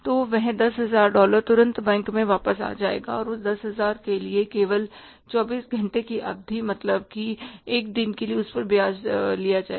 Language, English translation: Hindi, So, that $10,000 immediately will return back to the bank and interest will be charged on for that 10,000 only and for a period of 24 hours means one day